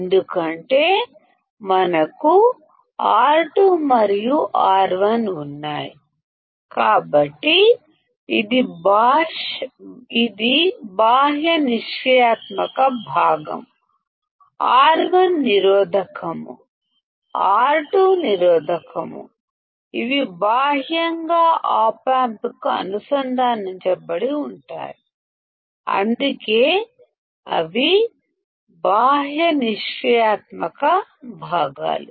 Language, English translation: Telugu, Because we have R2 and R1; so, this is external passive component, R1 is resistor, R 2 is resistor; these are externally connected to the Op amp that is why they are external passive components